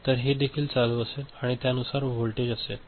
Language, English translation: Marathi, So, this this will be also ON and this voltage will be accordingly, is it fine